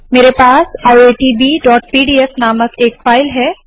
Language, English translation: Hindi, I have a file called iitb.pdf